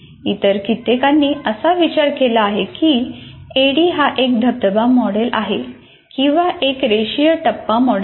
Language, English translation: Marathi, And somehow many other people have considered that this is a waterfall model or a linear phase model